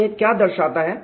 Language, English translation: Hindi, So, what does this show